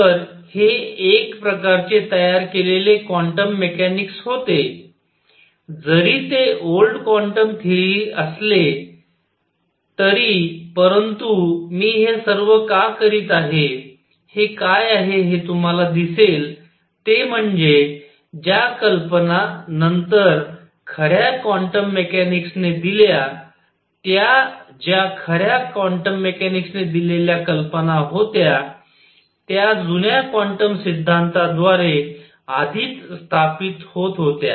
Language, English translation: Marathi, So, this was a kind of quantum mechanics being developed still the old quantum theory, but why I am doing all this is what you will see is that the ideas that later the true quantum mechanics gave the answers that the true quantum mechanics gave was ideas were already setting in through older quantum theory